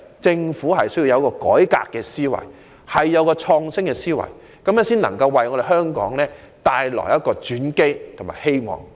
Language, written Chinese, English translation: Cantonese, 政府必須有改革和創新的思維，才能為香港帶來轉機和希望。, To turn crisis into opportunity and bring hope to Hong Kong the Government must have a reform and innovative mindset